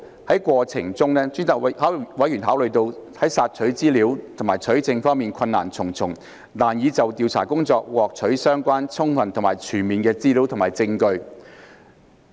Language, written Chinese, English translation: Cantonese, 在過程中，委員考慮到在索取資料和取證方面困難重重，難以就調查工作獲取相關、充分及全面的資料和證據。, In the course of obtaining information and evidence members have considered that the Select Committee had encountered difficulties in obtaining relevant sufficient and comprehensive information and evidence for the purposes of its inquiry